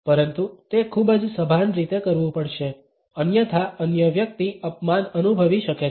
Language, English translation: Gujarati, But, it has to be done in a very conscious manner; otherwise the other person may feel insulted